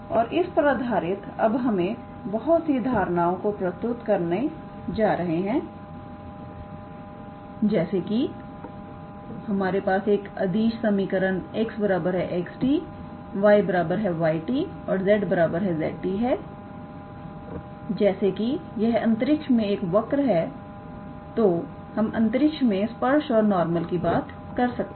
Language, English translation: Hindi, And based on that now we introduce several concepts like if we had a scalar equation x equals to x t y equals to y t and z equals to z t since it is a curve in space we can about tangent, we can talk about normal